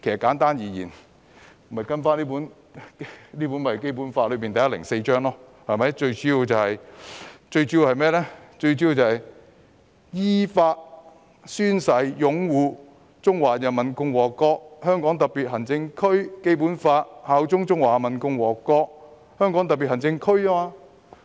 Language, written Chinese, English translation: Cantonese, 簡單而言，便是跟隨《基本法》第一百零四條的規定，最主要是"依法宣誓擁護中華人民共和國香港特別行政區基本法，效忠中華人民共和國香港特別行政區"。, Simply put they have to fulfil the requirements specified in Article 104 of the Basic Law which mainly requires them to in accordance with law swear to uphold the Basic Law of the Hong Kong Special Administrative Region of the Peoples Republic of China and swear allegiance to the Hong Kong Special Administrative Region of the Peoples Republic of China